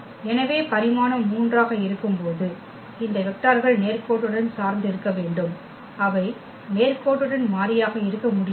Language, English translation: Tamil, So, when the dimension is 3 these vectors must be linearly dependent, they cannot be linearly independent